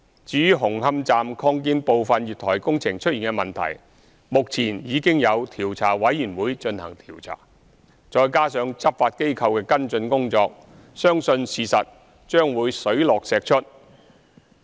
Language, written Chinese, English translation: Cantonese, 至於紅磡站擴建部分月台工程出現的問題，目前已有調查委員會進行調查，再加上執法機構的跟進工作，相信事實將會水落石出。, Regarding the problems associated with some of the works of the Hung Hom Station Extension they are now under investigation by the COI . Moreover the law - enforcement agencies are taking follow - up actions . I trust that the truth will come into light in the end